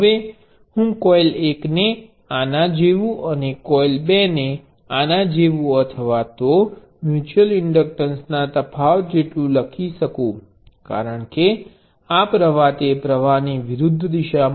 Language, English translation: Gujarati, Now I could define coil 1 to be like this and coil 2 to be like this or like that; that makes difference for the mutual inductance because this current is opposite of that current